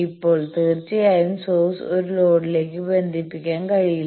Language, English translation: Malayalam, Now; obviously, source cannot connect to a load